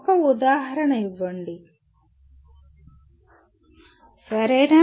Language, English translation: Telugu, Give an example, okay